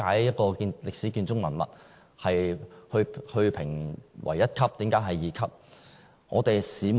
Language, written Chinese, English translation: Cantonese, 一個歷史建築文物為何會被評為一級或二級，我們無從稽考。, There is also no clue as to why some buildings are assessed to be Grade 1 but some Grade 2